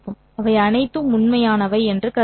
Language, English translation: Tamil, Assume that these are all reals